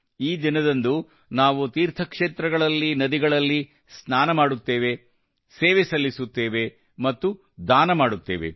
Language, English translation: Kannada, On this day, at places of piligrimages, we bathe and perform service and charity